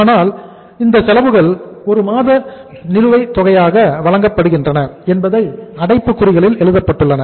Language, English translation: Tamil, But it is written in the bracket these expenses are paid 1 month in arrears